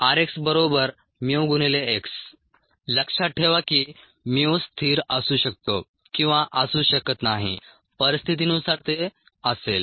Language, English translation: Marathi, note that mu may or may not be a constant, depending on the situation